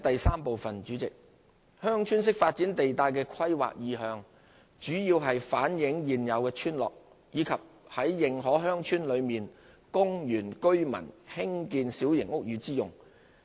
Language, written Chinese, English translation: Cantonese, 三"鄉村式發展"地帶的規劃意向，主要是反映現有村落，以及於認可鄉村內供原居村民興建小型屋宇之用。, 3 The planning intention of the Village Type Development zone V zone is mainly to reflect existing villages and for small house development by indigenous villagers within recognized villages